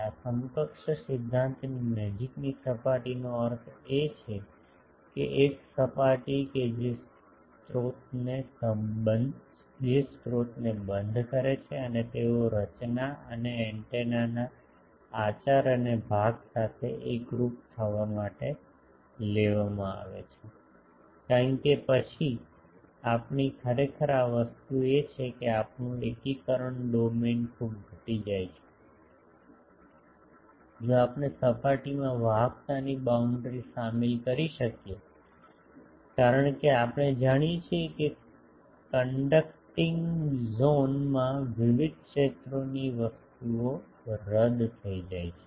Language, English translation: Gujarati, It a close surface means for this equivalence principle that, a surface which encloses the sources and they are taken to coincide with the conduct and part of the structure or antenna because then our actually the thing is our integration domain gets very much reduced, if we can include in the surface the conduction conducting boundary, because in the we know that in conducting zones various fields things gets cancelled